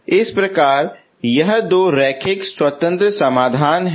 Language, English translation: Hindi, So these are the two linearly independent solutions